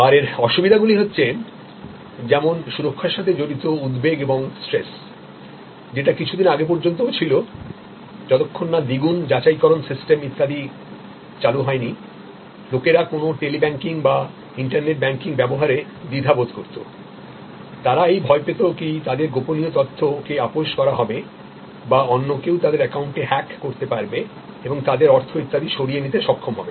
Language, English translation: Bengali, But, there are disadvantages like there are anxieties and stress related to security till very recently, till some of this double verification systems etc were introduced people felt hesitant to use a Tele banking or internet banking, fearing that they are confidential it will become compromised or somebody else we will be able to hack into the account and take away their money and so on